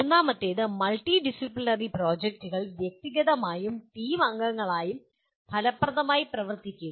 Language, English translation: Malayalam, And the third one, work effectively as individuals and as team members in multidisciplinary projects